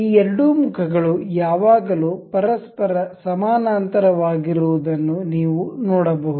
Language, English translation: Kannada, You can see this two faces are always parallel to each other